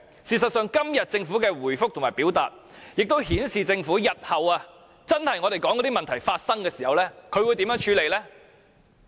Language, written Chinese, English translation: Cantonese, 事實上，今天政府的回覆亦顯示了政府日後，在真的發生我們所說的問題時會如何處理。, In fact todays Government reply also shows how the Government will deal with future incidents that we have mentioned before